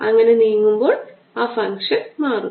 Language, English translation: Malayalam, that is how the function changes as it moves along